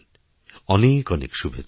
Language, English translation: Bengali, Wish you all the best